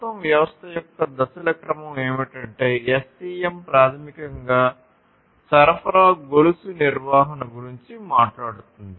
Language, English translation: Telugu, So, the sequencing of the stages for the whole system is what SCM basically talks about, supply chain management